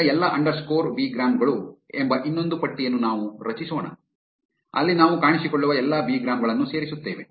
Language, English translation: Kannada, Now, let us create another list called all underscore bigrams where we will append all the bigrams that are appearing